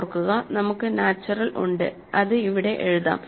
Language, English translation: Malayalam, Recall, that we have the natural, we will write that here